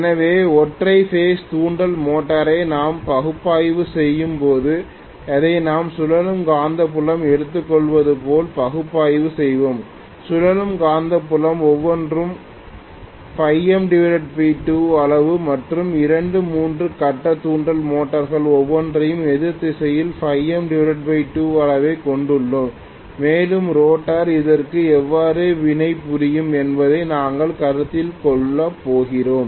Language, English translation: Tamil, So when we analyze the single phase induction motor, we will analyze it as though we take two revolving magnetic field each of phi M by 2 magnitude and we are going to consider this as though we have connected two three phase induction motors each having phi M by 2 magnitude in the opposite direction and how the rotor will react to that